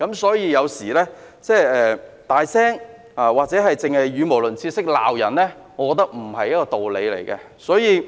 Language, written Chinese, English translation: Cantonese, 所以，有時候大聲或語無倫次，只懂罵人，我覺得並沒有道理。, Hence sometimes when a Member is speaking very loudly talking nonsense and mainly telling people off I will find him unreasonable